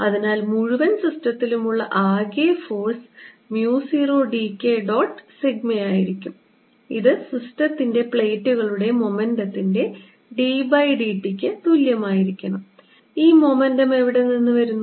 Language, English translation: Malayalam, so the net force on the whole system is going to be mu zero d k dot sigma and this should be equal to d by d t of the momentum of the plates of the system